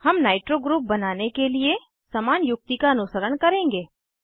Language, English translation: Hindi, We will follow a similar strategy to create a nitro group